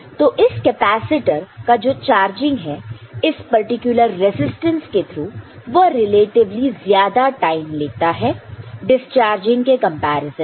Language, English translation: Hindi, So, this charging of the capacitor by this particular resistance which is relatively high takes more time than the discharging of it